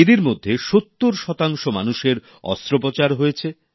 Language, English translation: Bengali, Of these, 70 percent people have had surgical intervention